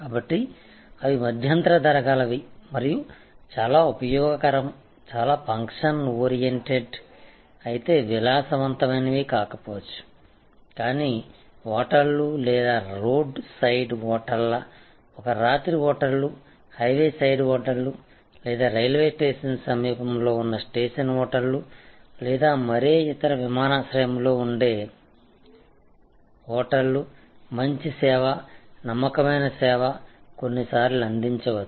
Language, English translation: Telugu, So, they are mid price range and very utility very function oriented may not be much of luxury, but good service, reliable service all sometimes deliberately hotels or one night hotels on road side hotels highway side hotels or station hotels located near the railway station or any other airport, where people just come for a few hours and to catch the next flight